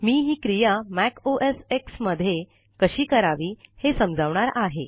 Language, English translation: Marathi, I will explain this process in a MacOSX operating system